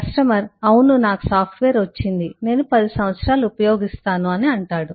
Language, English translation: Telugu, the customer says, yes, I have get the software, I will use it for 10 years